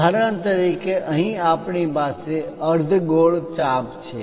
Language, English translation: Gujarati, For example, here we have a semi circular arc